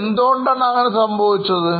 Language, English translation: Malayalam, Why this would have happened